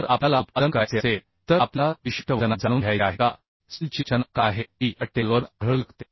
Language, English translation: Marathi, So if we want to produce means, if we want to know in a particular weight of steel what are the composition uhh that can be found uhh from this table